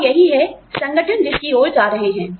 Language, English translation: Hindi, And, that is what, the organizations are going towards